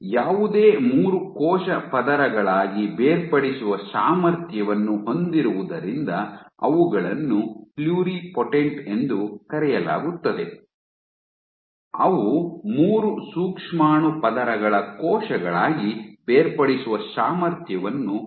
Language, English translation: Kannada, They are called pluripotent because they have the potential to differentiate into any 3 cell layers; they have the capacity to differentiate into cells of 3 germ layers